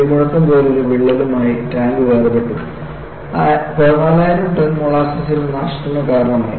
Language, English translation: Malayalam, The tank came apart with a thunderous cracking and an estimated 14,000 tons of molasses caused havoc